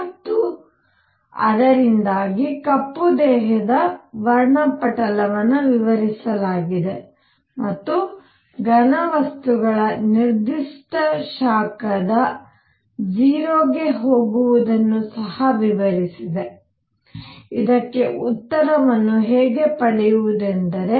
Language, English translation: Kannada, And because of that explained the black body spectrum and also explained the going to 0 of the specific heat of solids, how to get an answer for this